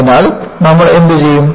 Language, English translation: Malayalam, So, what you do